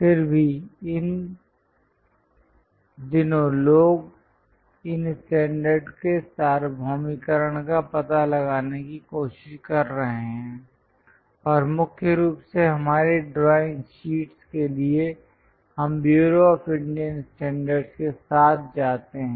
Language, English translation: Hindi, Each of these organizations follows different kind of standard, but these days people are trying to locate for universalization of these standards and mainly for our drawing sheets we go with Bureau of Indian Standards that is this